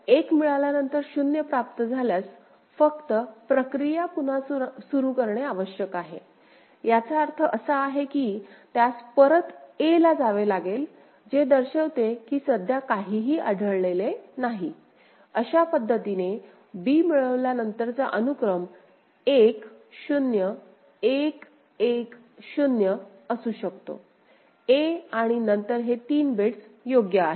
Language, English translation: Marathi, So, after receiving 1 if it receives 0 it just needs to restart the process so; that means, it has to go back to state a which signifies that no bit is currently detected; because the sequence at this could be 1 0 1 1 0 after b received a and then this three bits right clear